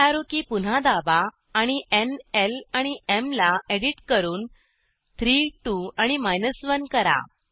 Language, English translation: Marathi, Press up arrow key again and edit n, l and m to 3 2 and 1